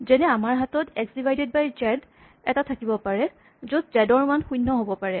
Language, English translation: Assamese, For instance we might have an expression like x divided by z, and z has a value zero